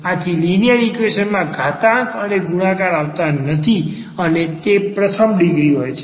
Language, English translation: Gujarati, So, because in linear equation there will no product or no power, so it will be first degree